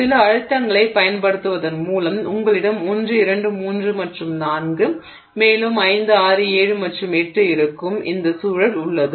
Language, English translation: Tamil, Now with the application of some stress you have this situation where you have 1, 2, 3 and 4 and you have 5, 6, 7 and 8